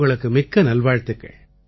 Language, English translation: Tamil, Many good wishes to you